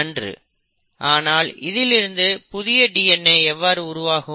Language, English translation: Tamil, But how does a new DNA come into existence